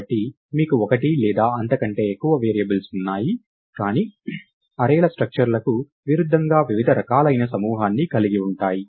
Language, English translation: Telugu, So, you have one or more variables, but as opposed to arrays structures can have different types grouped together